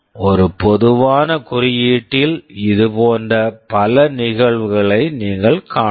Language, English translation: Tamil, In a general code you will find many such instances